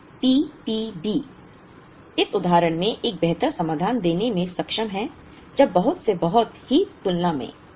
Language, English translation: Hindi, So P P B is able to give a better solution in this instance when compared to lot for lot